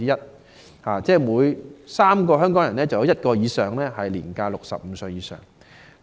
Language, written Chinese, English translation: Cantonese, 就是說，每3名香港人便有多於1人年屆65歲以上。, In other words for every three persons in Hong Kong there will be more than one senior citizens aged 65 or above